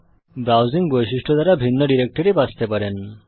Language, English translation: Bengali, Using the browse feature, a different directory can also be selected